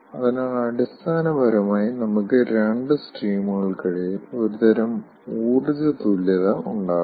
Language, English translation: Malayalam, so basically, we will have some sort of an energy balance between the two streams